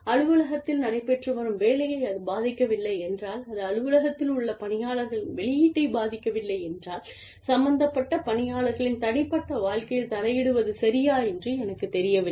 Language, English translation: Tamil, If it is not affecting the work, that is going on in the office, if it is not affecting the output, of the employees, in the office, i do not know, what purpose, it would serve, to intervene in the personal lives, of the people, involved